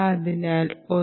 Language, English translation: Malayalam, ok, then a